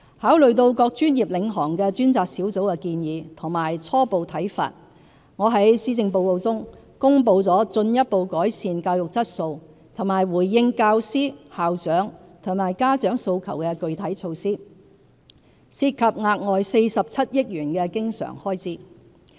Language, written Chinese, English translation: Cantonese, 考慮到各專業領航的專責小組的建議及初步看法，我在施政報告中公布了進一步改善教育質素和回應教師、校長和家長訴求的具體措施，涉及額外47億元經常開支。, Taking into account the recommendations and initial views from various professional - led task forces I announce in my Policy Address a number of specific measures involving an additional recurrent expenditure of 4.7 billion to further enhance the quality of education and respond to the aspirations of teachers principals and parents